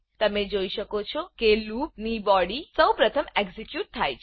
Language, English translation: Gujarati, You can see that the body of loop is executed first